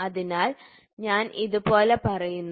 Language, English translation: Malayalam, So, I just say something like this